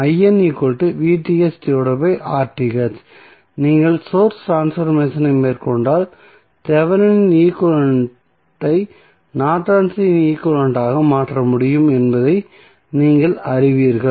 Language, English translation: Tamil, So, if you carry out the source transformation you will come to know that the Thevenin equivalent can be converted into Norton's equivalent